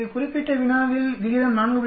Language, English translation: Tamil, In this particular problem the ratio is 4